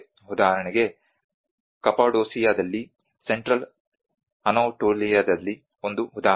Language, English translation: Kannada, For instance, in Cappadocia an example in the Central Anatolia